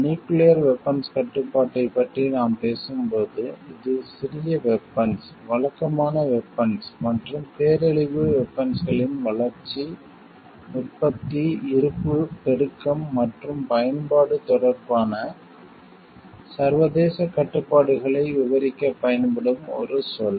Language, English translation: Tamil, When we talk of nuclear arm control it is a term that is used to describe the international restrictions relating to the development, production, stocking proliferation and usage of small arms, conventional weapons and weapons of mass destruction